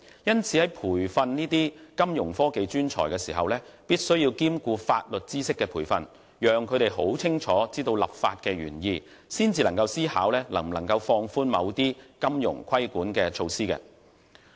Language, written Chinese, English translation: Cantonese, 因此，在培訓金融科技專才時，必須兼顧法律知識的培訓，讓他們清楚知道立法的原意，才能思考能否放寬某些金融規管措施。, For this reason the training of Fintech talents must include the provision of legal training so as to enable them to understand clearly the legislative intent before consideration should be given to the feasibility or otherwise of relaxing certain regulatory measures for the financial industry